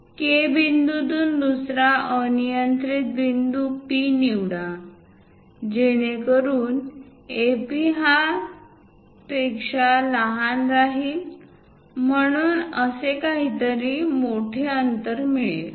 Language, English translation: Marathi, From K point, pick another arbitrary point P such that AP is smaller than PK; so something like this is greater distance